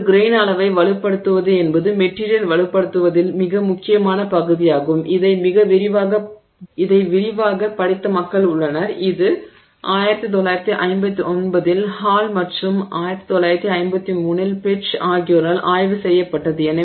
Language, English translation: Tamil, So, so grain size strengthening is a very significant part of strengthening of the material and what was what has been done is there are people who have studied this in great detail and it was studied in 1951 by Hall and 1953 by Petch